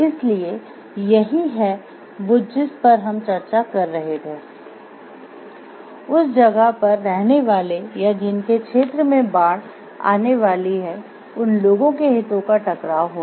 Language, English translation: Hindi, So, that is what we were discussing there will be conflicts of interest of people staying in that place or whose area is going to get flooded